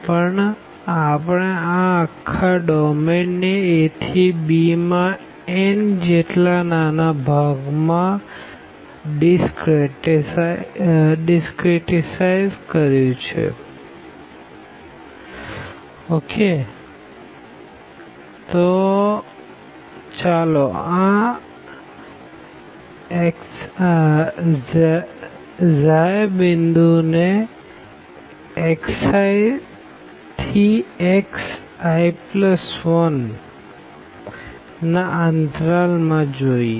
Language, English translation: Gujarati, But, we have discretized this the whole domain from a to b into n such intervals and let us consider this point for instance this x i i within the interval this x i to x i plus one